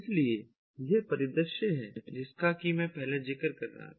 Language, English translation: Hindi, so this is the scenario that i was referring to earlier